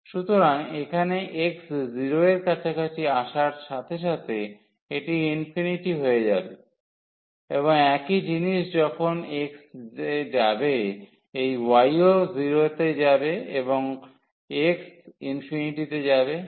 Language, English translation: Bengali, So, here as x is approaching to 0 this will go to infinity and same thing when x will go this y will go to 0 and x is going to infinity